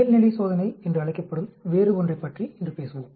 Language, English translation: Tamil, We will talk about something different today, that is called the Normality test